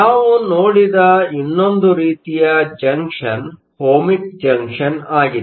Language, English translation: Kannada, The other type of junction that we saw was the Ohmic junction